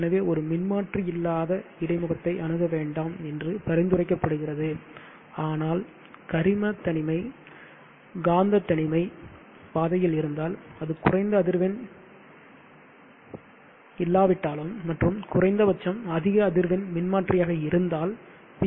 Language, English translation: Tamil, Therefore, it is recommended not to go in for a transformer less interface, but to put the organic isolation, magnetic isolation somewhere in the path in between even if it is not a low frequency at least a high frequency transformer so that the person cleaning the PV module is protected